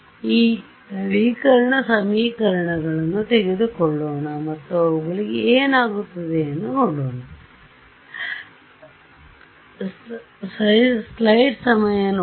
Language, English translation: Kannada, So, let us take let us take these update equations and see what happens to them ok